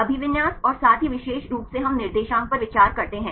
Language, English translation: Hindi, The orientation as well as specifically we consider coordinates